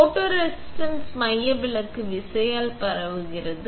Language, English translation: Tamil, Photoresist is spread by centrifugal force